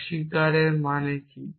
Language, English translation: Bengali, What does negation mean